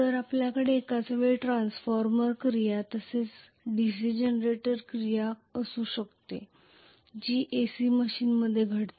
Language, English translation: Marathi, So we can have simultaneously transformer action as well as DC generator action that is what happen in an AC machine